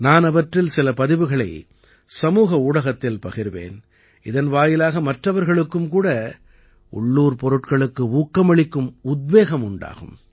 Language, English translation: Tamil, I will share some of those posts on Social Media so that other people can also be inspired to be 'Vocal for Local'